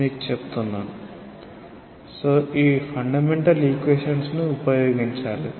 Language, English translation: Telugu, So, you have to use these fundamental equations